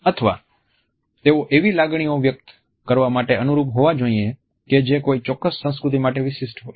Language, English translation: Gujarati, Or should they be tailored to express emotions in such a manner which are a specific to a particular culture